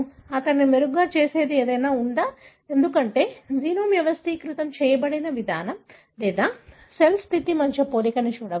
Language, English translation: Telugu, Is there anything that makes him better, because the way the genome is organized, one can look at, or comparison between cell state